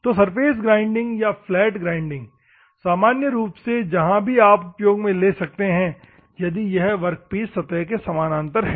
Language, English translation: Hindi, So, surface grinding normally, it or the flat grinding you can go for wherever it is parallel to the workpiece surface